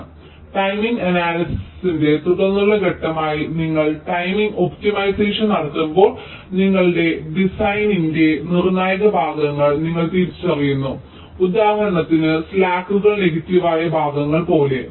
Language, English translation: Malayalam, so when you are doing timing optimization as a subsequent step to timing analyzes, you are identifying the critical portions of your design, like, for example, the portions where the slacks are negative